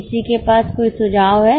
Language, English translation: Hindi, Anyone has a suggestion